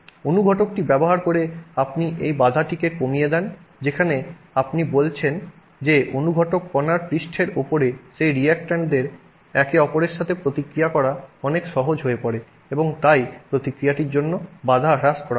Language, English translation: Bengali, You are by using a catalyst, you are lowering the barrier to let's say this barrier where you are saying that on the surface of that catalyst particle, it's much easier for those reactants to react with each other and therefore the barrier for the reaction is a low ed